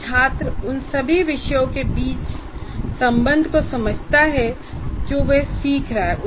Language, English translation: Hindi, So what happens is the student understands the relationship between all the topics that he has been that he is learning